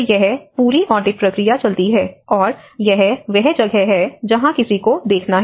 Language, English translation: Hindi, So, this whole audit process goes on, and that is where one has to look at